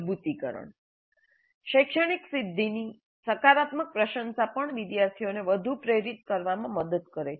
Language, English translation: Gujarati, And reinforcement, a positive appreciation of the academic achievement also helps the students to become more motivated